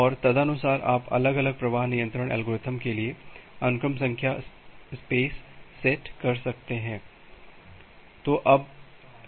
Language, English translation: Hindi, And accordingly you can set up the sequence number space for different flow control algorithm